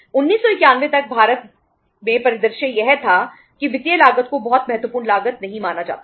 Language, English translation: Hindi, Till 1991 in India the scenario was that financial cost was not considered as a very important cost